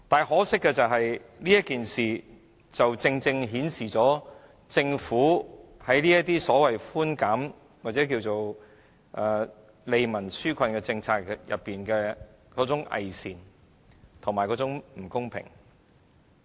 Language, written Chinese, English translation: Cantonese, 可惜，這項措施正正反映政府制訂所謂"利民紓困"的寬減政策時有多偽善和不公。, This measure however reflects the hypocrisy and unfairness of the Government in formulating concessionary policies to provide the so - called relief